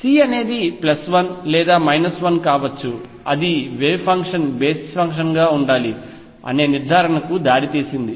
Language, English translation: Telugu, C could be either plus 1 or minus 1 that led to the conclusion that the wave function should be either an odd function